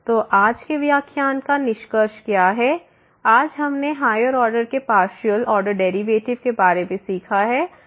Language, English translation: Hindi, So, what is the conclusion for today’s lecture we have now learn the partial order derivative of higher order